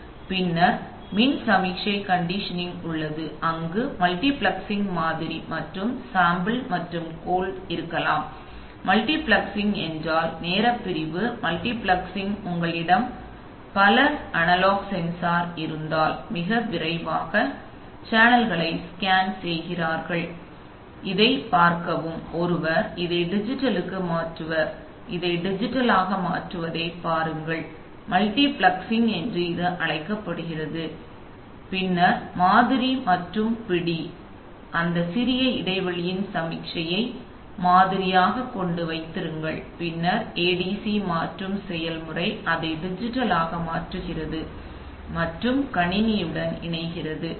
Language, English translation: Tamil, And then there is electrical signal conditioning then there is, that, then there could be multiplexing sample and hold, multiplexing means that, you know, time division multiplexing that is looking, if you have a number of analog sensor very quickly you scan the channels so first see this one convert this to digital then see that one convert this to digital and so on so that is called multiplexing and then sample and hold, so sampling and holding the signal for that small interval of time when it is being converted then ADC conversion the process of converting it to digital and interfacing with computer